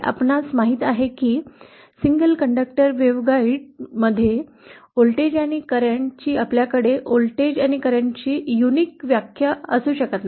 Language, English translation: Marathi, You know that in a single conductor waveguide we cannot have a unique definition of voltage and current